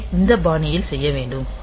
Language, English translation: Tamil, So, it can be done in this fashion